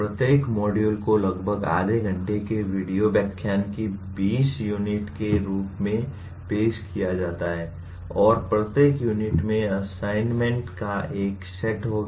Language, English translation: Hindi, Each module is offered as 20 units of about half hour video lectures and each unit will have a set of assignments